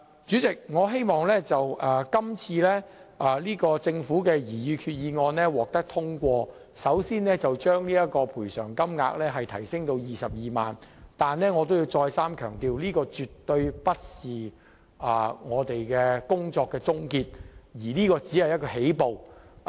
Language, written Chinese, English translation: Cantonese, 主席，我希望政府今次的擬議決議案能夠獲得通過，先將親屬喪亡之痛賠償款額提高至 220,000 元，但我必須再三強調，這絕對不是工作的終結，只是起步而已。, President I hope the current resolution moved by the Government will gain passage so that the bereavement sum will be increased to 220,000 . Yet I must emphasize once again that this never means an end to the issue . On the contrary it only marks the beginning